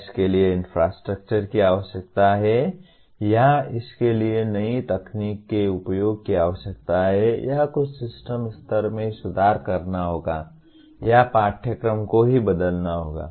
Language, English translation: Hindi, Does it require infrastructure or does it require use of a new technology or some system level improvements have to take place or the curriculum itself has to be altered